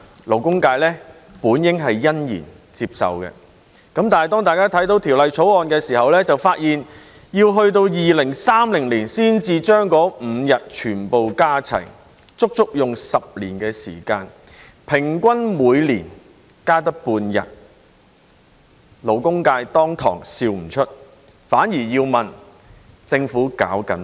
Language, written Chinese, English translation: Cantonese, 勞工界本應欣然接受，但當大家看到這項法案時卻發現，要待至2030年才把那5天全部加齊，足足10年時間，平均每年只增加半天，勞工界登時笑不出來，反而要問政府在幹甚麼。, As this is what the labour sector has been fighting for many years it should be delighted to accept such an initiative . However after reading the Bill we found that the five days of holidays would all be added over a span of 10 years until 2030 that is an additional half day per year on average . The labour sectors joy has all gone right away leaving only the question of what the Government is doing